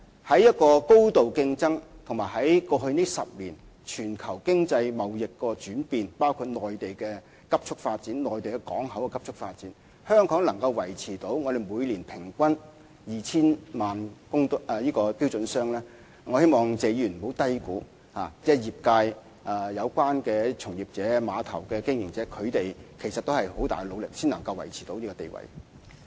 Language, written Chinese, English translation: Cantonese, 在一個高度競爭的環境，以及過去10年全球經濟貿易的轉變下，包括內地港口的急速發展，香港仍可維持每年平均 2,000 萬標準箱的水平，我希望謝議員不要低估這成就，因為業界從業員、碼頭經營者其實要付出很大的努力，才可保持這個地位。, Despite the highly competitive environment and the changes in the global economy and trade in the past decade including the rapid development of Mainland ports Hong Kong has still managed to maintain an annual average container throughput of 20 million TEUs . I hope Mr TSE will not understate such an achievement for industry practitioners and container terminal operators have actually made tremendous efforts to maintain this status